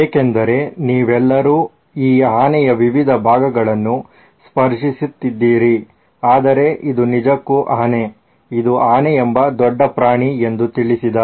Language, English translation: Kannada, I know you guys have been touching different parts of this elephant but it’s actually an elephant, it’s an big animal called an elephant